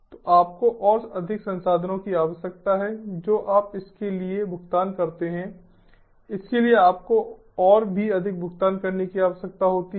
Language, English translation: Hindi, so you need, you need more resources, you pay for it, you need even more, you pay even more and so on